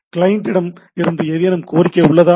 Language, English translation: Tamil, Is there any request from the client